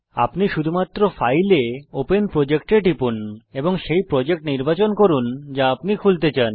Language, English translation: Bengali, Just click on File gt Open Project and choose the project you want to open